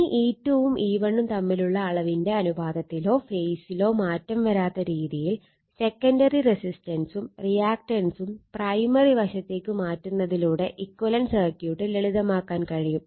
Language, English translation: Malayalam, Now, the equivalent circuit can be simplified by transferring the secondary resistance and reactance is to the primary side in such a way that the ratio of of E 2 to E 1 is not affected to magnitude or phase